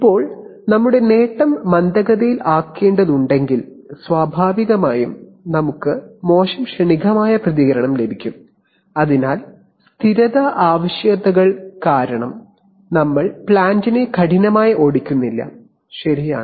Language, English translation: Malayalam, Now if we have to keep our gain slower, naturally we will get poor transient response, so we are not driving the plant hard because of stability requirements, right